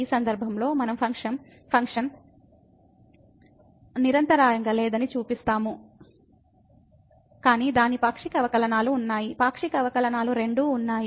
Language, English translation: Telugu, In this case, we will show that the function is not continuous, but its partial derivatives exist; both the partial derivatives exist